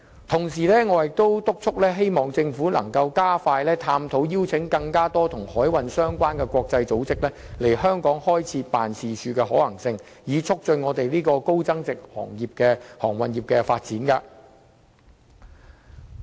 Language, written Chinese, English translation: Cantonese, 同時，我也促請政府加快探討邀請更多與海運相關的國際組織在香港開設辦事處的可行性，以促進香港高增值航運業的發展。, At the same time I also urge the Government to look into the possibility of inviting more international maritime organizations to set up offices in Hong Kong to promote the development of high - value added maritime services in Hong Kong